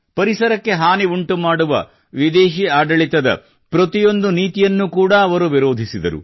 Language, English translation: Kannada, He strongly opposed every such policy of foreign rule, which was detrimental for the environment